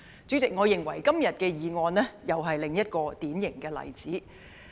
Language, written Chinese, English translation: Cantonese, 主席，我認為今天的議案又是一個典型的例子。, President I think the motion today is another typical case in point